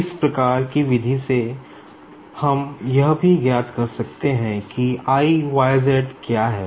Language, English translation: Hindi, Now, by following the similar method, we can also find out what is I YZ